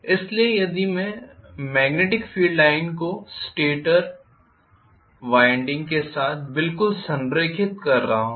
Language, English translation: Hindi, So if I am having the magnetic field line aligned exactly with that of the stator winding